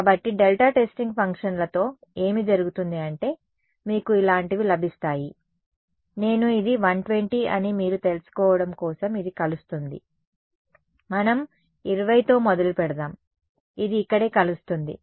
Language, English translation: Telugu, So, with delta testing functions what happens is, you get something like this, it begins to converge for you know that I am this is say 120 you can start with something as crude let say 20 right it begins to converge over here right